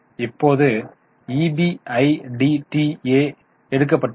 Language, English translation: Tamil, Right now, EBITA has been taken